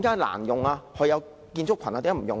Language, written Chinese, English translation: Cantonese, 為何有建築群也不使用？, Why have the building structures never been used since then?